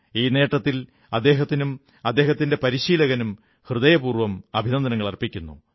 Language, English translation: Malayalam, I extend my heartiest congratulations to him and his coach for this victory